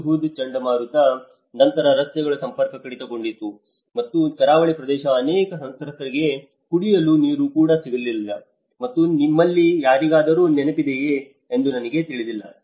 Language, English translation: Kannada, I do not know if any of you remember after the Hudhud cyclone, the roads have been cut off and being a coastal area, many victims have not even got drinking water